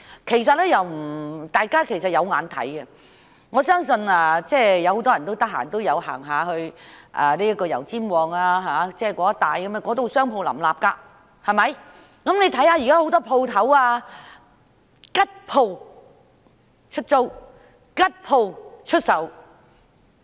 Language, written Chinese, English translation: Cantonese, 其實大家是有目共睹的，我相信很多人都會到油尖旺區一帶逛街，那裏商鋪林立，但大家現在看到有很多"吉鋪"出租、"吉鋪"出售。, I believe many people would hang out in the Yau Tsim Mong District where streets are lined with shops . Yet we can now see that there are a lot of vacant shops for lease or sale